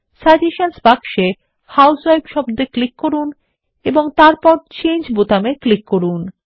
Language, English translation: Bengali, In the suggestion box,click on the word housewife and then click on the Change button